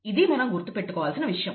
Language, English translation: Telugu, So that is something that we need to keep in mind